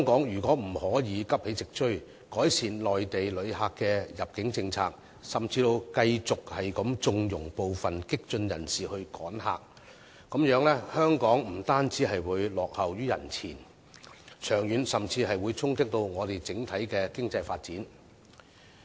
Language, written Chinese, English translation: Cantonese, 如果香港仍不急起直追，改善內地旅客的入境政策，甚至繼續縱容部分激進人士"趕客"，這樣香港不單會落後於人前，長遠甚至會衝擊我們整體的經濟發展。, If Hong Kong still fails to make amends and improves the immigration policy of Mainland visitors or even continues to condone the actions of some radicals to drive Mainland visitors away not only will Hong Kong lag behind others but will also deal a blow to the overall development of our economy in the long run